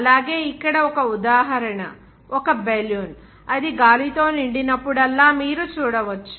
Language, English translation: Telugu, Also, one example you can see that a balloon, whenever it will be filled with air